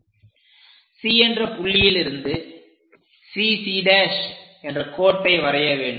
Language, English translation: Tamil, So, somewhere at point C draw a line name it CC prime